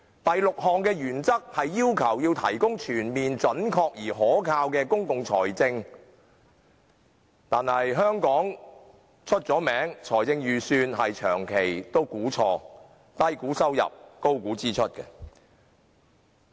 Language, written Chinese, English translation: Cantonese, 第六項原則要求提供全面準確而可靠的公共財政資料，但眾所周知，香港的財政預算長期出現估計錯誤，低估收入，高估支出。, The sixth principle requires a budget to present a comprehensive accurate and reliable account of public finances . However as we all know the Budgets of Hong Kong have persistently made erroneous projections under - estimating revenue and over - estimating expenditure